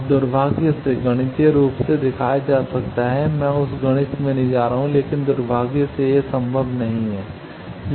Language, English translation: Hindi, Now unfortunately can be shown mathematically I am not going into that mathematics, but unfortunately that is not possible